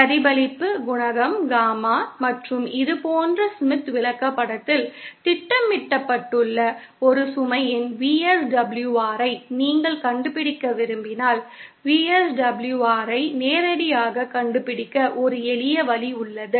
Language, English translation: Tamil, If you want to find out the VSWR of a load which is the reflection coefficient Gamma and which is plotted on the Smith chart like this, then there is a simple way to find out the VSWR directly